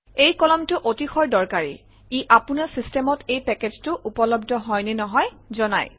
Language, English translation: Assamese, This column is extremely important, it says whether this package is available on your system